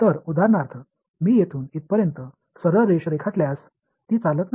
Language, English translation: Marathi, So, for example, if I draw straight line from here to here it does not go